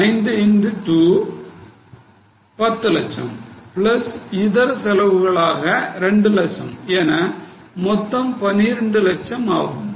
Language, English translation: Tamil, In monetary terms, it is 5 into 2 10 lakhs plus maybe some other expenses of 2 lakhs, so 12 lakhs